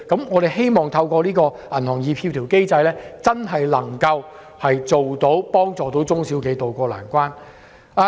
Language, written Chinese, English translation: Cantonese, 我們希望透過協調機制，真正幫助中小企渡過難關。, We hope that the Coordination Mechanism will help tide SMEs over the difficulties